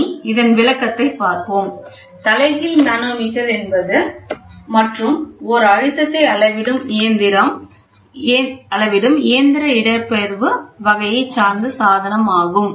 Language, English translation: Tamil, So, let us see the explanation, an inverted manometer is an another pressure measuring device that is of mechanical displacement type